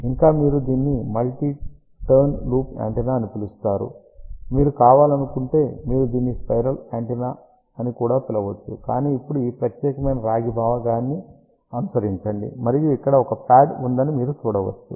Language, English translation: Telugu, You can still call it a multi turn loop antenna, if you wish you can also call it as spiral antenna, but now just follow this particular copper portion and you can see over here there is a pad